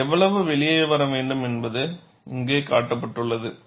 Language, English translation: Tamil, How much it should come out, is shown here